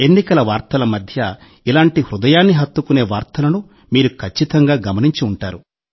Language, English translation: Telugu, Amidst the news of the elections, you certainly would have noticed such news that touched the heart